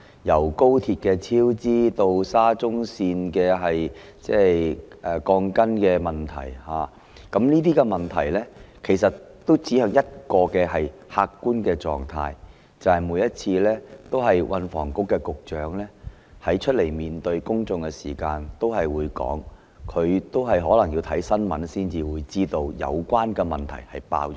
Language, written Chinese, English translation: Cantonese, 由高鐵超支，及至沙田至中環綫的鋼筋問題，這些問題均指向一個客觀的狀況，即是運房局局長每次出來向公眾交代時也會說，他可能要看新聞報道才知道有關問題已"爆煲"。, All the problems ranging from the cost overruns of the high - speed rail link to the steel reinforcement bars in the Shatin to Central Link SCL reflect the objective fact that he may need to read news reports to know that problems have been brought to light as STH would say whenever he came forward to explain to the public